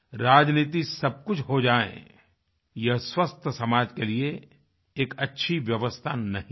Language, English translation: Hindi, Making politics an all pervasive, powerful factor is not an effective way for a healthy society